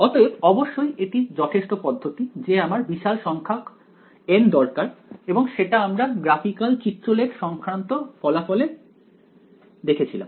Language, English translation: Bengali, So, of course, that is enough approach need large number of N and we saw that in the graphical results also